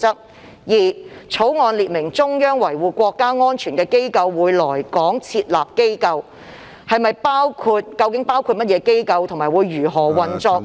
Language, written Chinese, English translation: Cantonese, 第二，《決定》列明中央維護國家安全的機構會來港設立機構，究竟包括甚麼機關及如何運作？, Second the draft Decision provides for a national security agency to be set up in Hong Kong by the Central Government . Exactly what kind of agency is to be set up and how will it operate?